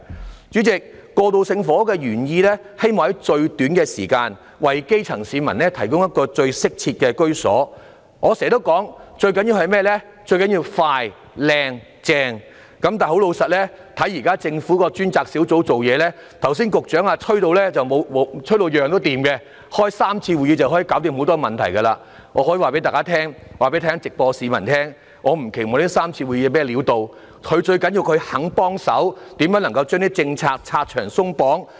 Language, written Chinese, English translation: Cantonese, 代理主席，過渡性房屋的原意是希望在最短時間，為基層市民提供最適切的居所，我常說最重要的是"快、靚、正"，但老實說，看到現時政府的過渡性房屋專責小組辦事，局長剛才更吹噓事事皆通，只需進行3次會議便可解決許多問題，我可以在目前會議直播中跟市民說，我並不期望這3次會議有何效用，最重要的是政府願意幫忙，研究怎樣能把政策拆牆鬆綁。, I always say the most important things are being prompt smooth and effective . However honestly speaking we see the way the Task Force on Transitional Housing Task Force handles the job and the Secretary just now even boasted that everything ran smooth and just holding three meetings could have solved many problems . I can tell the public who are watching the live coverage of the meeting that I do not expect these three meetings to have any effect